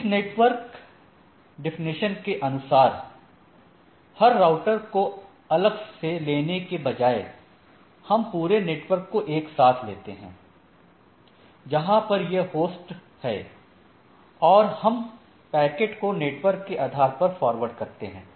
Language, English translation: Hindi, So, this network definition so, instead of taking individual host I take, we consider here the network where the host are like and then I forward the packet on the based of the network right